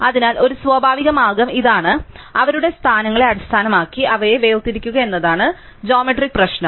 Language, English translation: Malayalam, So, a natural way is this is the geometric problem is to separate them based on their positions